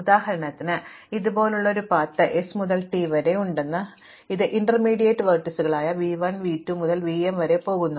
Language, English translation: Malayalam, So, for instance I have a path like this from s to t which goes through some intermediate vertices v 1, v 2 up to v m